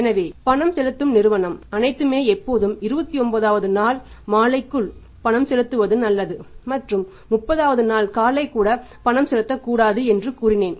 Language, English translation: Tamil, So, make it a point always that the paying firm should all be I make it a point that is better for them to pay by the evening of 29th day not even 30th day morning is better to make the payment on 29th day evening